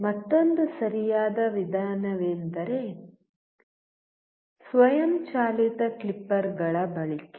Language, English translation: Kannada, Another right method is the use of automatic clippers